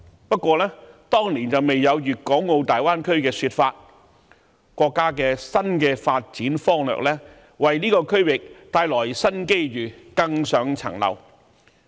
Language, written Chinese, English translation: Cantonese, 不過，當年未有粵港澳大灣區的說法，國家的新發展方略為這個區域帶來新機遇，更上一層樓。, However the idea of the Greater Bay Area was not yet in existence at that time and now this new development strategy of our country will bring new opportunities to this region and elevate its development to a higher level